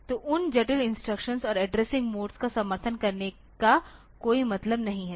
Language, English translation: Hindi, So, as a result there is no point supporting those complex instruction modes and a addressing modes